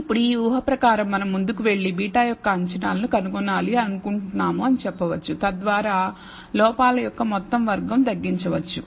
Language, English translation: Telugu, Now, under this assumption we can go ahead and say we want to find the estimateds of beta so as to minimize the sum square of the errors